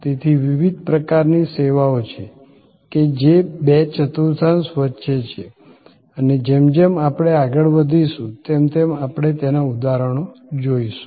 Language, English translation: Gujarati, So, there are different kinds of services, which set between the two quadrants and we will see those examples as we go along